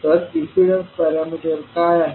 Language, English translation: Marathi, What are those impedance parameters